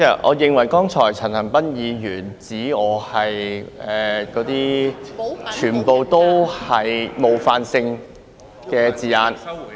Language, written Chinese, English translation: Cantonese, 我認為陳恒鑌議員剛才指我是......那些全部都是冒犯性的字眼。, I think Mr CHAN Han - pan referred to me just now as Those are all offensive words